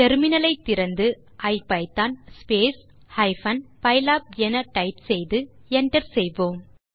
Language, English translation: Tamil, Open the terminal and type ipython pylab and hit enter